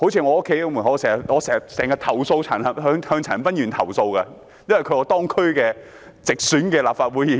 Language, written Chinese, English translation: Cantonese, 我經常就垃圾問題向陳恒鑌議員投訴，因為他是我區直選的立法會議員。, I often complain to Mr CHAN Han - pan about the refuse problem because he is the directly elected legislator of the district where I live